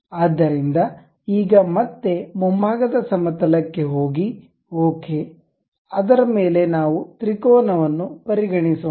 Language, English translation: Kannada, So, now again go to frontal plane, ok, on that let us consider a triangle